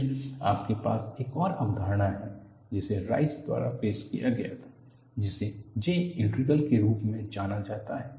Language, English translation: Hindi, Then you have another concept, which was introduced by Rice, which is known as J integral